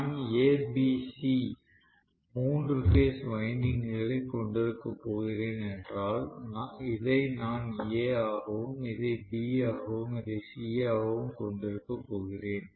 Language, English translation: Tamil, If I am going to have A B C three phase windings, I am going to have this as A this as B and this as C